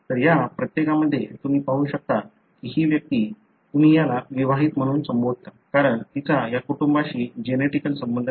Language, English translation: Marathi, So, in each of these you can see that this individual, you call this as married in, because she is not related, genetically with this, the family